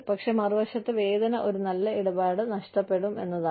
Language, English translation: Malayalam, But, on the other hand, the pain will be, loss of a good deal